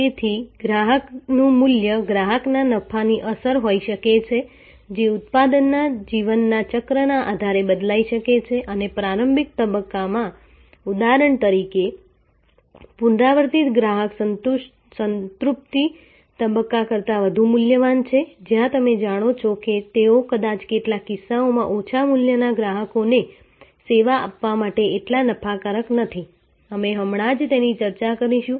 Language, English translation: Gujarati, So, the value of a customer can be the profit impact of a customer can vary depending on the product life cycle and in the early stage for example, a repeat customer is far more valuable than in the saturation stage, where you know they are may be in some cases not so profitable to serve some low value customers and so on, we will discussed that just now